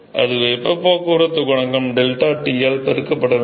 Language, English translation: Tamil, So, that should be heat transport coefficient multiplied by deltaT fine